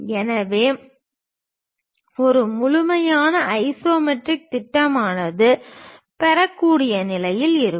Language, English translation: Tamil, So, that a complete isometric projection one will be in a position to get